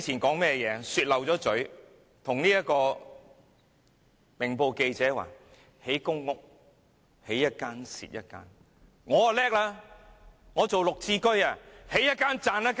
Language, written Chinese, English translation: Cantonese, 她說漏了嘴，告訴《明報》記者興建公屋會"起一間，蝕一間"；她卻厲害了，她打造綠置居，"起一間，賺一間"。, Well she had a Freudian slip one day . She told Ming Pao that the building of public housing will incur losses . I think that is why she has come up with the Green Form Subsidised Home Ownership Scheme